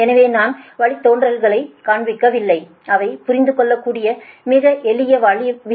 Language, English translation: Tamil, so i am not showing derivatives, they are understandable